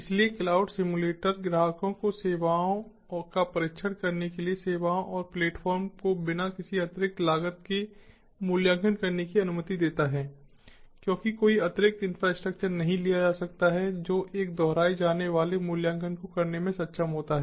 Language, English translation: Hindi, so cloud simulators allow the customers to evaluate the services, to test the services and the platform at no additional cost, because no additional infrastructure is going to be taken enabling a repeatable evaluation